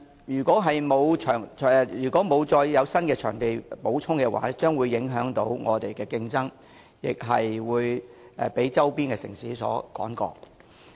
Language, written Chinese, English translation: Cantonese, 如果再不增加會展場地的話，本港的競爭力將會受到影響，被周邊的城市所超越。, If no more additional CE venues are to be provided the competitiveness of Hong Kong will be affected and Hong Kong will be surpassed by neighbouring cities